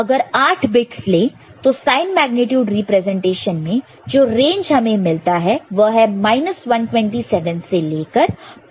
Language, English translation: Hindi, Using 8 bits, the range of numbers that can be represented using sign magnitude representation is minus 127 to plus 127